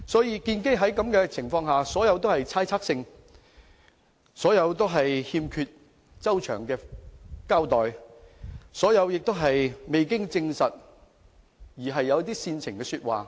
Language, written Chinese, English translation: Cantonese, 因此，這些純屬猜測，欠缺周詳的交代，是未經證實而旨在煽情的說話。, Therefore these mere speculations and shoddy justifications are nothing but just unfounded rabble - rousing